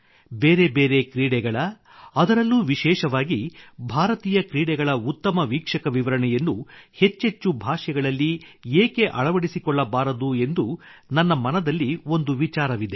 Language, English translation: Kannada, I have a thought Why not have good commentaries of different sports and especially Indian sports in more and more languages, we must think about encouraging it